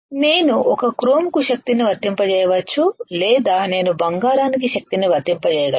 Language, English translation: Telugu, I can apply power either to a or to chrome or I can apply power to gold